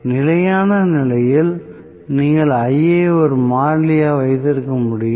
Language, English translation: Tamil, So, in steady state you can have Ia as a constant